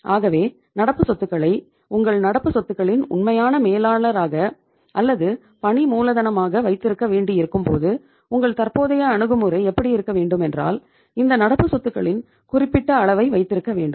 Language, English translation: Tamil, So once you have to keep the current assets as a true manager of your current assets or working capital your approach should be that you keep the level of these current assets